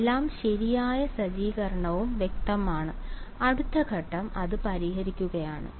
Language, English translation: Malayalam, All right setup is clear next step is solving it ok